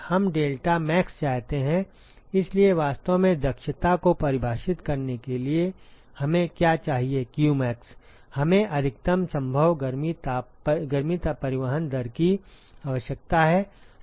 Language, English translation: Hindi, We want deltaTmax, but really to define efficiency what we need is qmax we need the maximum possible heat transport rate